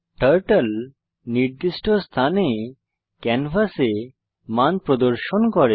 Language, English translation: Bengali, Turtle displays the values on the canvas at the specified positions